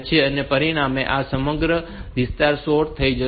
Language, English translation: Gujarati, So, as a result the entire area will get sorted